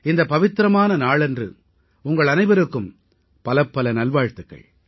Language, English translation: Tamil, On this auspicious occasion, heartiest greetings to all of you